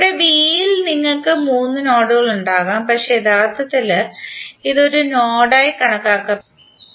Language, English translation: Malayalam, So here you will have, in b you will have three nodes but actually it is considered as one node